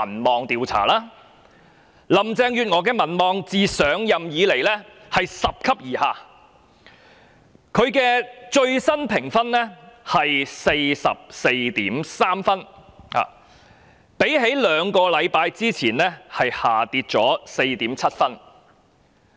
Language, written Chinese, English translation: Cantonese, 林鄭月娥的民望自上任以來拾級而下，其最新評分是 44.3 分，較兩星期前下跌了 4.7 分。, The popularity rating of Carrie LAM has been dropping ever since she took office and it now stands at 44.3 marks which has decreased by 4.7 marks when compared with the figure recorded two weeks ago